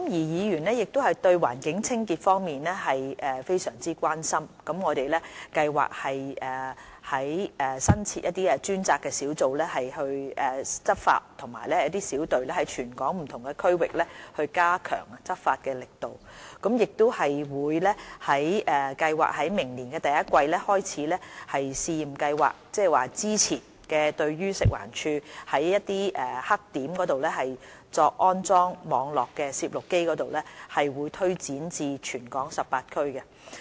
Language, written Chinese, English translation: Cantonese, 議員對環境清潔非常關心，我們計劃新增專責執法小隊在全港不同區域加強執法力度，亦計劃於明年第一季開始試驗計劃，即是早前食物環境衞生署在棄置垃圾黑點安裝網絡攝錄機的試驗計劃推展至全港18區。, Members are very much concerned about environmental cleanliness . We plan to set up additional dedicated enforcement teams to step up law enforcement in different districts across the territory . We also have plans to begin in the first quarter of next year a pilot scheme which builds on a previous one under the Food and Environmental Hygiene Department by extending the installation of Internet Protocol cameras at hygiene blackspots to cover all the 18 districts